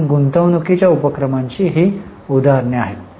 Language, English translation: Marathi, So, these are variety of examples of investing activity